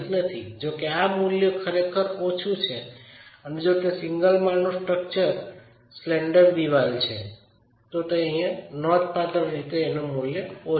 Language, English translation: Gujarati, If this value is really low and if it is a single storage structure, slender wall this is going to be a significantly low value